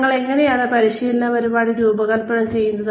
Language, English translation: Malayalam, How do we design, training programs